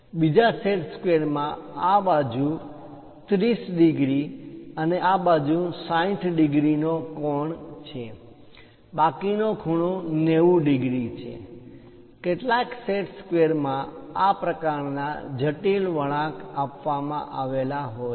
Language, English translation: Gujarati, The other set square comes with 30 degrees on this side and 60 degrees on this side; the remaining angle is 90 degrees; some of the set squares consists of this kind of complicated curve patterns also